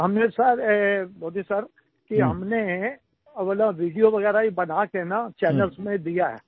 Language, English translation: Hindi, We sir, Modi sir, we have shot our videos, and sent them to the TV channels